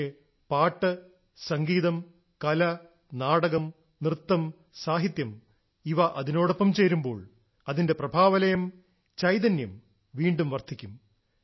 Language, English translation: Malayalam, But when songmusic, art, dramadance, literature is added to these, their aura , their liveliness increases many times